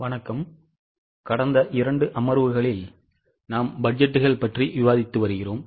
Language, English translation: Tamil, In last two sessions, in last two sessions we have been discussing about budgets